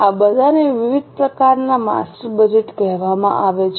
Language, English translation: Gujarati, All these are called as different types of master's budget